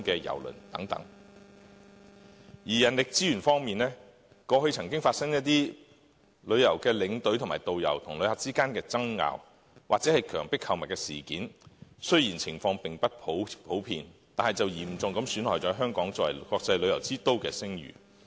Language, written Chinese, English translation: Cantonese, 人力資源方面，過去曾發生一些旅遊領隊和導遊與旅客之間的爭拗，或強迫購物事件，雖然情況並不普遍，但卻嚴重損害了香港作為國際旅遊之都的聲譽。, On human resources there were incidents of disputes between tour escorts and tour guides and tourists or incidents of coerced shopping . Even though such incidents were not common Hong Kongs reputation as an international tourism city has been seriously affected